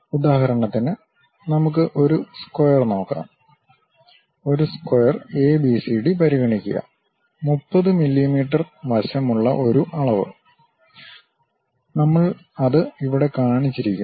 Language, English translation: Malayalam, For example, let us look at a square, consider a square ABCD, having a dimension 30 mm side, we have shown it here